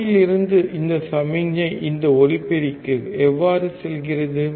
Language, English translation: Tamil, How does this signal from the mouth go to this mike